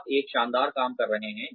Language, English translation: Hindi, You are doing a fabulous job